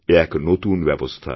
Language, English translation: Bengali, This is a great new system